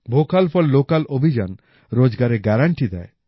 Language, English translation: Bengali, The Vocal For Local campaign is a guarantee of employment